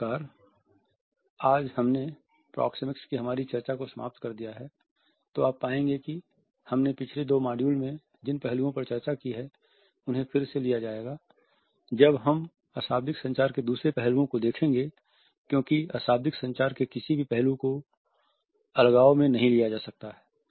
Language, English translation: Hindi, So, today we have finished our discussion of proxemics, you would find that many aspects which we have discussed in the last two modules would be taken over again when we will look at different other aspects of non verbal communication